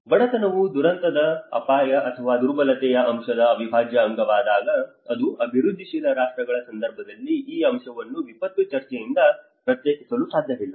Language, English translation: Kannada, When poverty becomes an integral part of the disaster risk and the vulnerability component, and in the context of developing countries this aspect cannot be secluded from the disaster discussion